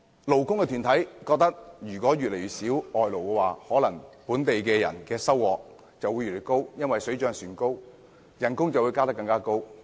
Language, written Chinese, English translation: Cantonese, 勞工團體認為，外勞越少，本地工人的收入會越高，因為水漲船高，工資自然有更大增幅。, Labour associations consider that with fewer foreign workers local workers will earn a higher income due to consequential wage increases . So their wages will naturally see a greater growth